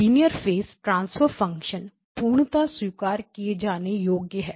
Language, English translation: Hindi, Linear phase transfer function is perfectly acceptable to us